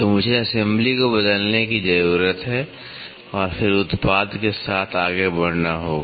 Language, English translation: Hindi, So, I need to open the assembly replace it and then go ahead with the product